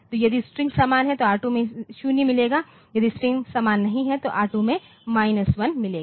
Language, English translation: Hindi, So, if the strings are same then with R2 will get a 0, if strings are not same then R2 will get a minus 1